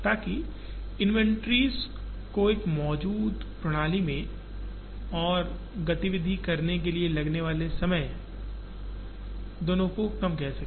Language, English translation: Hindi, So that, both inventories that exist in the system and time taken to do an activity come down